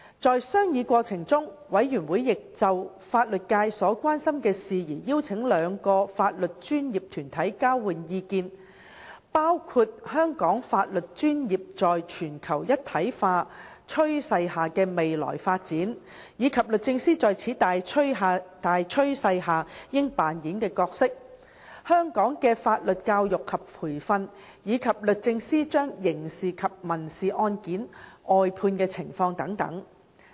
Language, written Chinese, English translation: Cantonese, 在商議過程中，事務委員會亦有就法律界所關心的事宜邀請兩個法律專業團體交換意見，包括香港法律專業在全球一體化趨勢下的未來發展，以及律政司在此大趨勢下應扮演的角色；香港的法律教育及培訓；及律政司將刑事及民事案件外判的情況等。, Members held divergent views towards this topic and a consensus had not yet been reached by the Panel . In the course of discussion the Panel also invited two legal professional bodies to exchange views on issues of concerns to the legal profession including the future development of the legal profession under the trend of globalization and the roles that should be played by the Department of Justice under this trend legal education and training in Hong Kong and briefing out of criminal and civil cases by the Department of Justice